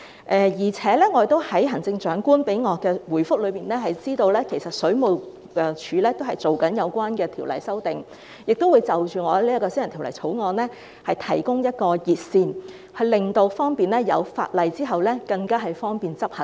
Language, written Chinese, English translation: Cantonese, 我亦從行政長官給我的回覆得知，其實水務署已就有關條例進行修訂工作，並會就我這項私人條例草案提供一條熱線，方便法案在通過後執行。, I have also learnt from the Chief Executives reply to me that the Water Supplies Department WSD has in fact carried out amendment work on the relevant legislation and will provide a hotline in respect of my private bill to facilitate enforcement after its passage